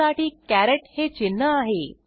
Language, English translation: Marathi, For that we have the caret sign